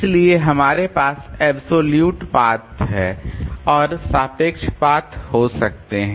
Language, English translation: Hindi, So, we can have absolute path and relative path